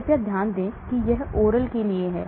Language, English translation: Hindi, Please note this is for oral